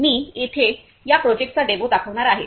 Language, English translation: Marathi, So, here I am going to demo of this project